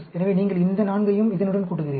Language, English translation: Tamil, So, you add up these 4, to that